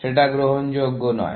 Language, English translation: Bengali, That is not acceptable